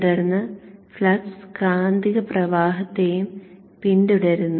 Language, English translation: Malayalam, The flux will follow the magnetizing current